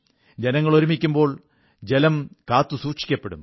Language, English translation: Malayalam, When people will join hands, water will be conserved